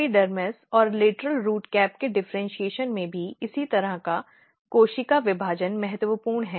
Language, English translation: Hindi, Similarly, similar kind of cell division is also very important in differentiation of epidermis and lateral root cap